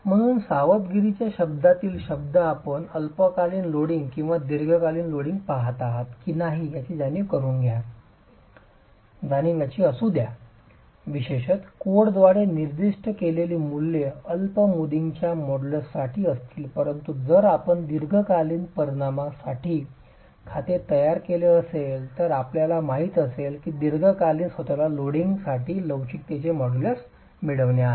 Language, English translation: Marathi, So, word of caution, modulus of elasticity, be conscious whether you are looking at short term loading or long term loading values typically prescribed by codes would be for short term modulus but if you were to make account for long term effects know that you'll have to get the models of elasticity for long term loading itself